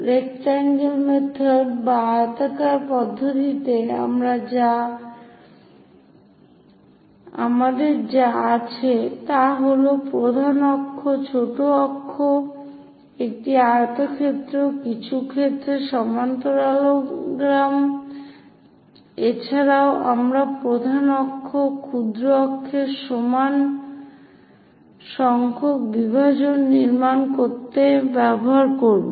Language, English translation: Bengali, In rectangle method or oblong method, what we have is major axis, minor axis, a rectangle; in some cases parallelogram also we will use to construct equal number of divisions on the major axis, minor axis